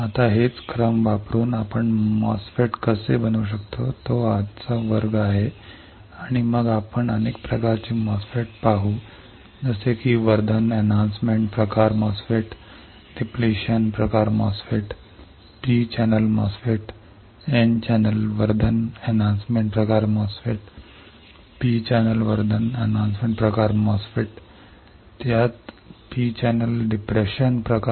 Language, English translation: Marathi, Now using these steps how can we fabricate a MOSFET; that is today’s class and then we will see several type of MOSFETs like enhancement type MOSFET, depletion type MOSFET, P channel MOSFET, N channel enhancement type MOSFET, P channel enhancement type MOSFET, same the P channel depression type